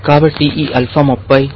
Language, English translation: Telugu, So, this alpha is 30